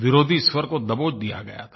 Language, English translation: Hindi, The voice of the opposition had been smothered